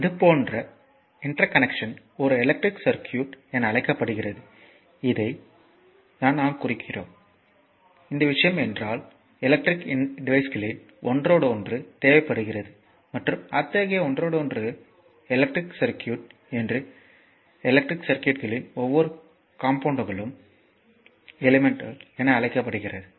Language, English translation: Tamil, So, and such interconnection is known as an as your as an electric circuit like if I mark it by this, if this thing this plain we require an interconnection of electrical devices and such interconnection is known as an electric circuit right and each component of the electric circuit is known as element